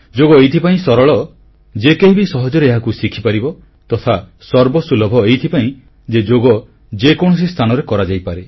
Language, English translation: Odia, It is simple because it can be easily learned and it is accessible, since it can be done anywhere